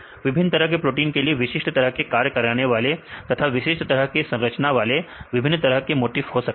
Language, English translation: Hindi, The various motifs are present for different types of proteins with specific functions or specific structures